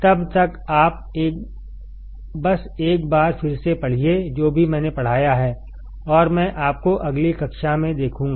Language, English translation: Hindi, Till then you just read once again, whatever I have taught and I will see you in the next class